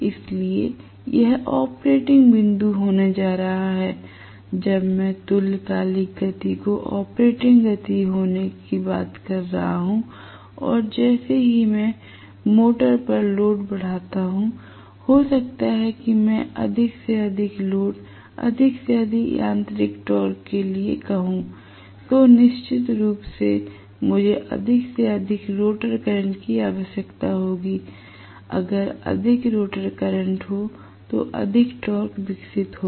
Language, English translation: Hindi, So, this is going to be the operating point when I am talking about synchronous speed being the operating speed and as I increase you know the load on the motor, may be I ask for more and more load, more and more mechanical torque, definitely I will require more and more rotor current, only if there is more rotor current there will be more torque developed